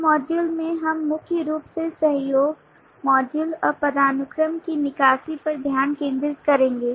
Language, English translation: Hindi, in this module, we will focus on primarily the extraction of collaboration, modules and hierarchy